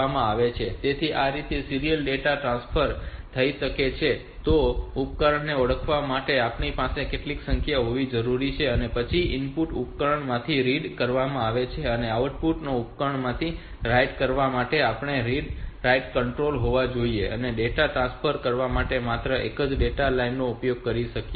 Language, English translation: Gujarati, So, this is how this is serial data transmission will take place, so we need to have some number then we the to identify the device then we should have some read write control for reading from the input device writing of the output device and we have to have only one be only one data line can be used for transferring the data